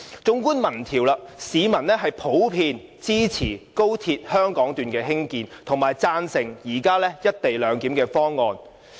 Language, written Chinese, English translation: Cantonese, 縱觀民調結果，市民普遍支持高鐵香港段的興建，並贊成現時"一地兩檢"的方案。, From the results of the surveys we can see that the public in general support the construction of the XRL Hong Kong Section and agree to the present co - location arrangement